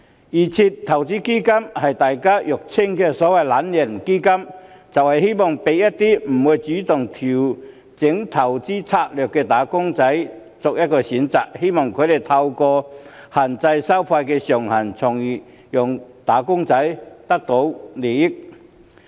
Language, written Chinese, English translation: Cantonese, 預設投資策略成分基金即是大家俗稱的"懶人基金"，為一些不會主動調整投資策略的"打工仔"提供一個選擇，希望透過限制收費上限，從而讓"打工仔"得益。, Constituent funds under DIS are commonly known as the lazybones fund which provide an option for wage earners who will not proactively adjust their investment strategies hoping to benefit them by capping the fees